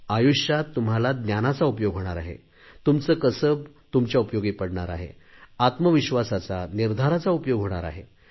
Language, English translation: Marathi, It is the knowledge that is going to be of use to you in life, so are skill, selfconfidence and determination